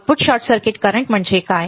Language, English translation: Marathi, What is output short circuit current